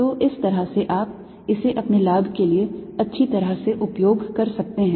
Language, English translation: Hindi, so this is how you can use it powerfully to your advantage